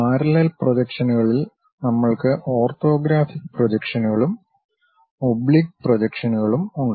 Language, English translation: Malayalam, And in parallel projections, we have orthographic projections and oblique projections